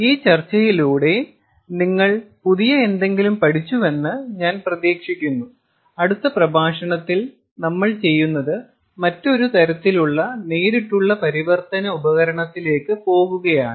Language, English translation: Malayalam, and i hope you learnt, ah, something new through this discussion and what we will do is in the next lecture we are going to move on to another type of direct conversion device